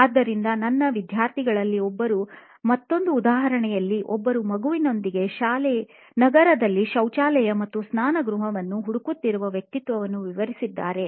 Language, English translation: Kannada, So, I am going to illustrate another example of persona that one of my students had covered of somebody with a child actually looking for a toilet or a bathroom in a city